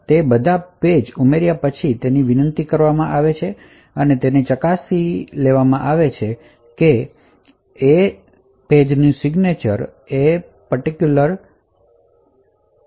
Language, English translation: Gujarati, So, it is invoked after all the pages have been added and essentially it could verify that the signature matches that of the owner signature